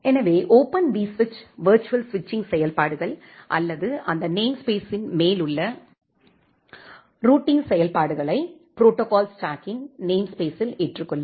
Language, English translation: Tamil, So, the Open vSwitch will adopt the virtual switching functionalities or the routing functionalities on top of that namespace the protocol stack namespace